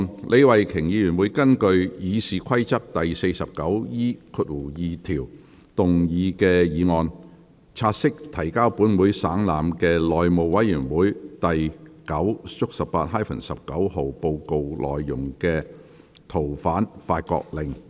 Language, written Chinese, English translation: Cantonese, 李慧琼議員會根據《議事規則》第 49E2 條動議議案，察悉提交本會省覽的內務委員會第 9/18-19 號報告內的《逃犯令》。, Ms Starry LEE will move a motion under Rule 49E2 of the Rules of Procedure to take note of the Fugitive Offenders France Order which is included in Report No . 918 - 19 of the House Committee laid on the Table of this Council